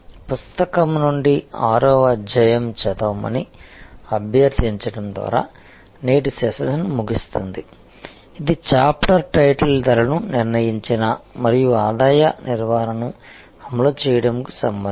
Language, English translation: Telugu, So, I will conclude today's session by requesting you to read chapter number 6 from the book, which is the chapter title setting prices and implementing revenue management